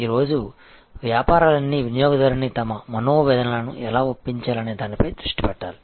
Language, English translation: Telugu, And all businesses today must focus how to persuade the customer to articulate their grievances